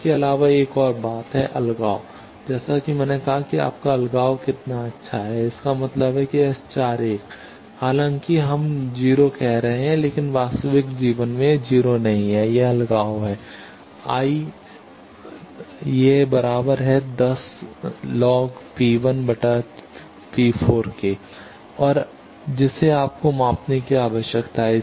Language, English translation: Hindi, Also there is another thing – isolation, as I said that how good is your isolation; that means, S 41 though we are saying to be 0, but in real life it is not 0, that is isolation in log P 1 by p 4 and that you needs to measure